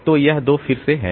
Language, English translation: Hindi, So, this 2 goes out